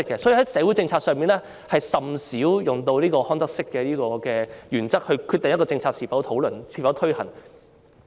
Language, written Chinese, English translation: Cantonese, 因此，在社會政策上，我們甚少以康德式的原則來決定一項政策應否討論或推行。, Hence for social policies we seldom apply the Kantian principle in deciding whether or not a policy should be discussed or implemented